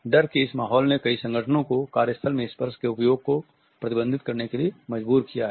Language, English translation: Hindi, This climate of fear has forced many organizations to prohibit the use of touch in the workplace